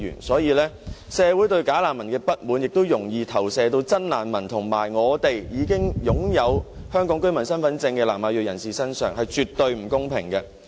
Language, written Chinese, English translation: Cantonese, 所以，社會對"假難民"的不滿亦容易投射到真難民及已經擁有香港居民身份證的南亞裔人士身上，這是絕對不公平的。, As a result the communitys dissatisfaction towards bogus refugees may easily be projected onto those genuine refugees and ethnic South Asians holding Hong Kong resident identity cards . This is so unfair indeed